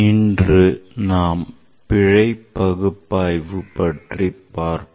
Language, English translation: Tamil, So, today I will discuss about the error analysis